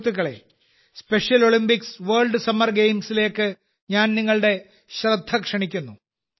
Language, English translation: Malayalam, Friends, I wish to draw your attention to the Special Olympics World Summer Games, as well